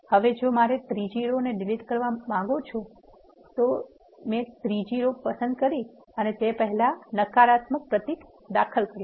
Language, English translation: Gujarati, So, I want to delete third row so I chose the third row and insert a negative symbol before it